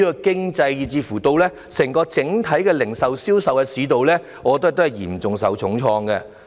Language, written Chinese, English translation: Cantonese, 經濟，以至整體零售和銷售市道，也嚴重受創。, The economy as well as the overall retail and sales markets have been hit hard